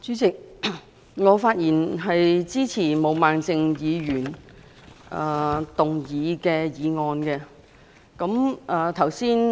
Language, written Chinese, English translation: Cantonese, 代理主席，我發言支持毛孟靜議員動議的議案。, Deputy President I speak in support of the motion moved by Ms Claudia MO